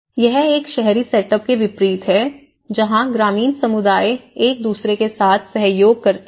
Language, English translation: Hindi, It’s unlike an urban setup the rural community cooperate with each other